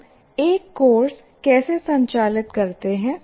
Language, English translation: Hindi, Now how do we conduct the course